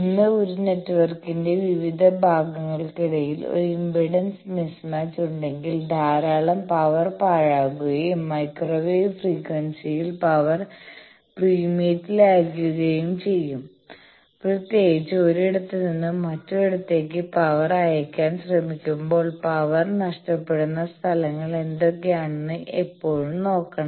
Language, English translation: Malayalam, Today, we will see that between various parts of a network, if there is an impedance mismatch then lot of power gets wasted and in microwave frequency power is at premium; particularly when we are trying to send power from one place to another place, we should always see that what are the places where the power is getting loss